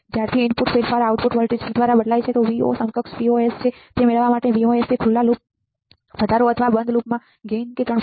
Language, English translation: Gujarati, Since this is an input change the output voltage will change by Vo equals to Vos in to gain this is nothing, but Vos is 3